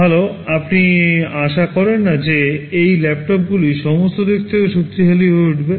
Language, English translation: Bengali, Well you do not expect that those laptops will become powerful in all respects